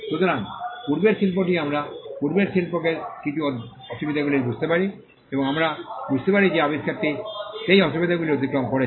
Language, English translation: Bengali, So, the prior art we understand the prior art to have certain disadvantages and we can understand that this invention overcame those disadvantages